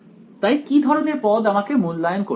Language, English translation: Bengali, So, what kind of terms do I have to evaluate